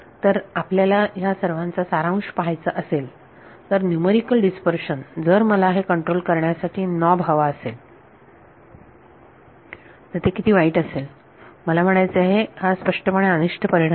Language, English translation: Marathi, So, if you want to summarize; so, the dispersion numerically if I wanted to have a knob to control how bad this I mean this is clearly an undesirable effect